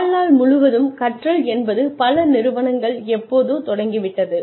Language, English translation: Tamil, Lifelong learning is another system, that a lot of organizations have just started, sometime back